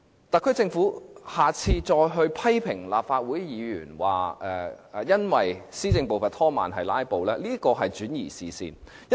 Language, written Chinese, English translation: Cantonese, 特區政府若再批評立法會議員，指施政步伐被拖慢是由於議員"拉布"，這是轉移視線的伎倆。, The Special Administrative Region Government is seeking to divert attention should it criticize Legislative Council Members again saying the filibusters staged by Members are to blame for delays in the pace of administration